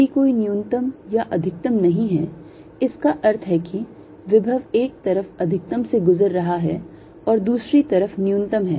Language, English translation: Hindi, let's understand that if there is no minimum or maximum, that means the potential is going through a maxim on one side, a minimum from the other side